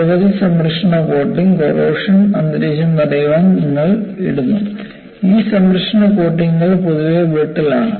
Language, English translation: Malayalam, And you know, many protective coating, you put to prevent corrosive environment; the protective coatings are in general, brittle